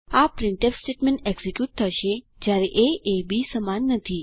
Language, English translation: Gujarati, This printf statment will execute when a is not equal to b